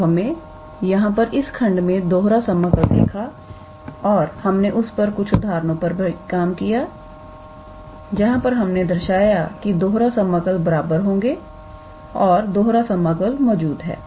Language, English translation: Hindi, So, we saw an introduction to the double integral in this lecture and we also worked out an example, where we showed that about the repeated integral will be equal if the integral double integral exists